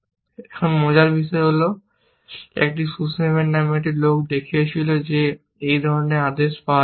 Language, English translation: Bengali, Now, interestingly, it was shown by a guy, called Sussman, that it is not always possible that such an order may be found